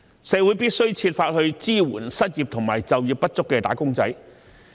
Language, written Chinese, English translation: Cantonese, 社會必須設法支援失業及就業不足的"打工仔"。, The community must find ways to support the unemployed or underemployed wage earners